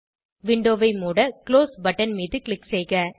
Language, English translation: Tamil, Lets Click on Close button to close the window